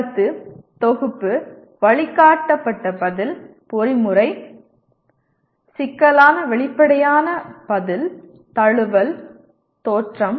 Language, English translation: Tamil, Perception, set, guided response, mechanism, complex overt response, adaptation, originations